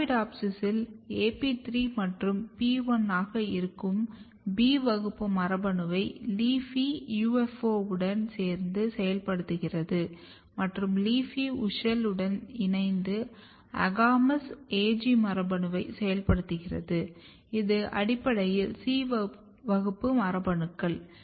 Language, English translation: Tamil, LEAFY together with UFO activate B class gene which is AP3 and PI in Arabidopsis and LEAFY together with WUSCHEL activate AGAMOUS, AG gene which is basically C class genes